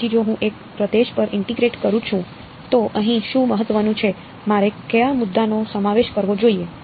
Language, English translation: Gujarati, So, if I integrate over a region, what is important over here I should include what point